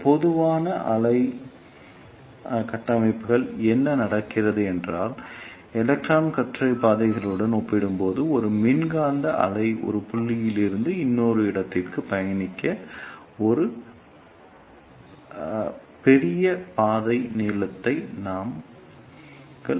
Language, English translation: Tamil, And what happens in these ah slow wave structures is that we provide a larger path length for a electromagnetic wave to travel from one point to another as compared to the electron beam path that is the shortest path